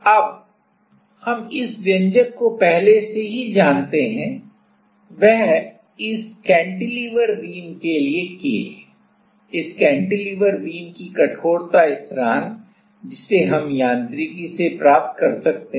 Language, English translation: Hindi, Now, we already know this expression; that is K for this cantilever beam, the stiffness constant of this cantilever beam which we can get from the mechanics